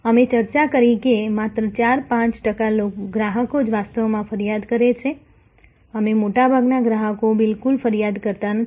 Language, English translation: Gujarati, We discussed that only about 4, 5 percent customers, they actually complain and a vast majority do not complain at all, they do not complain